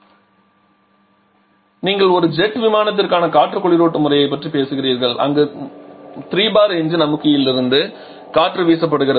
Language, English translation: Tamil, So, here you are talking about an air cooling system for a jet aircraft where air is blade from the engine compressor a 3 bar